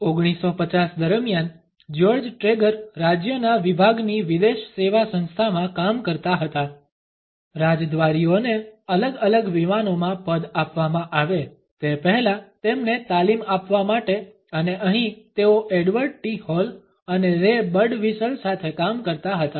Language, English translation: Gujarati, During the 1950 George Trager was working at the foreign service institute of the department of state, in order to train diplomats before they were posted to different planes and here he was working with Edward T